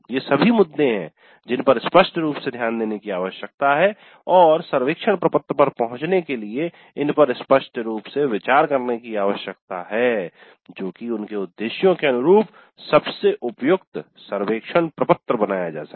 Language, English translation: Hindi, But these are all the issues that need to be taken into account explicitly and they need to be considered explicitly in arriving at a survey form which is best suited for their purposes